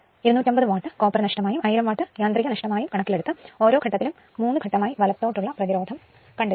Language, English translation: Malayalam, Allowing 250 watt for the copper loss in the short circuiting gear and 1000 watt for mechanical losses, find the resistance per phase of the 3 phase rotor winding right